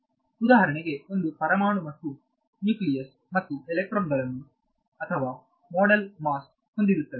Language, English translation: Kannada, It is for example, an atom and the nucleus and the electrons or model has the mass right